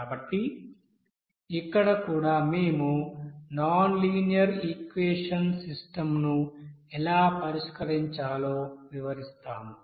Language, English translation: Telugu, So here also we will describe about that, how to solve that nonlinear equation system